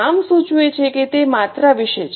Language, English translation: Gujarati, As the name suggests, it is about the quantities